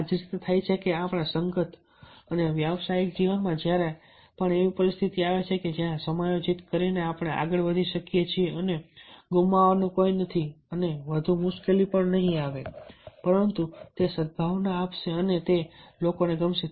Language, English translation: Gujarati, so exactly this is the way it happens that in our personal professional life, whenever there is a such situation where by accommodating we can go ahead and there is nothing to lose and ah, not much problem or difficulties will come, rather it will be give a goodwill and people will like